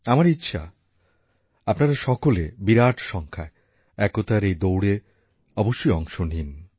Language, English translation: Bengali, I urge you to participate in the largest possible numbers in this run for unity